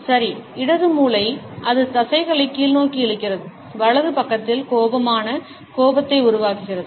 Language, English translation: Tamil, Well, the left brain pulls the same muscles downwards, on the right side to produce an angry frown